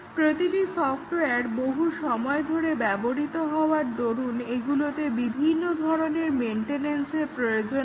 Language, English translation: Bengali, Every software needs various types of maintenance, as it is used over a long time